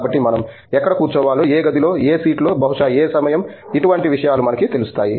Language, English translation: Telugu, So, we know exactly where we need to be sitting in, which room, in which seat, perhaps at which time and so on